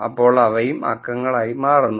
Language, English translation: Malayalam, So, then those also become number